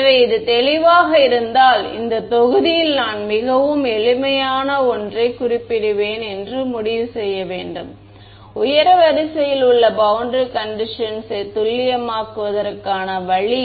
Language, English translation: Tamil, So, if this is clear then we need to conclude this module will I just mention one very simple way of making your boundary condition accurate for higher order ok